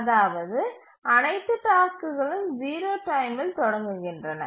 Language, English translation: Tamil, That is all tasks start at time zero